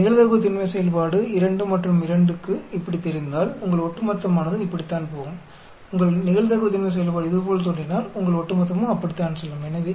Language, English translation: Tamil, If your probability density function looks like this for 2 and 2 your cumulative will go like this, if your probability density function looks like this your cumulative will go like that